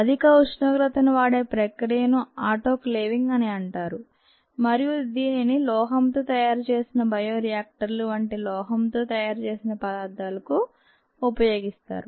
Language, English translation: Telugu, the high temperature process, ah is called autoclaving and that is used for ah substances made of ah, metal, such as bioreactors